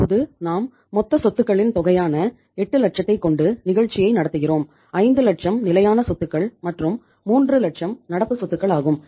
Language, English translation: Tamil, And now we are running the show uh with the total amount of the assets that is of 8 lakhs; 5 lakhs are the fixed assets and 3 lakhs are the current assets